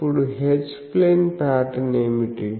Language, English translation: Telugu, Now, let me see, what is the H plane pattern